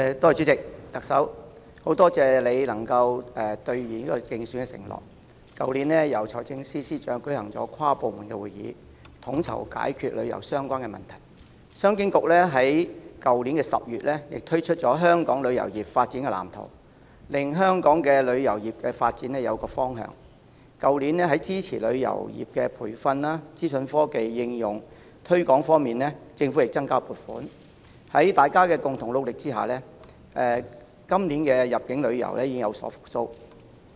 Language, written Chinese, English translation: Cantonese, 主席，很多謝特首能夠兌現競選承諾，在去年由財政司司長召開跨部門會議，統籌解決與旅遊相關的問題；商務及經濟發展局在去年10月亦推出了《香港旅遊業發展藍圖》，令香港的旅遊業發展有一個方向；去年在支持旅遊業培訓及資訊科技應用推廣方面，政府亦增加了撥款；在大家共同努力下，今年入境旅遊業已見復蘇。, Specifically through an inter - departmental meeting convened by the Financial Secretary last year efforts were coordinated in tackling tourism - related issues . The Commerce and Economic Development Bureau also published the Development Blueprint for Hong Kongs Tourism Industry last October to provide a direction for the development of Hong Kongs tourism industry . Last year the Government increased the funding to support training and promote the application of information technology in the tourism industry